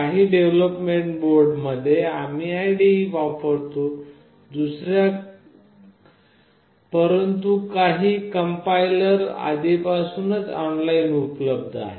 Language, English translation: Marathi, In some development boards we use some integrated development environment, but for some the compiler is already available online